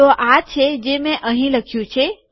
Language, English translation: Gujarati, So this is what I have written here